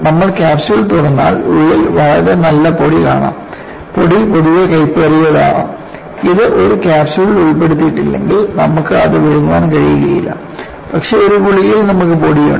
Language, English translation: Malayalam, If you open up the capsule, you will find a very fine powder inside; thepowder,is in general, may be bitter; you will not be able to swallow it if it is not put in a capsule, but with in a capsule, you have powder